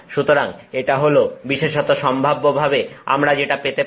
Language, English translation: Bengali, So, that is essentially what we can possibly have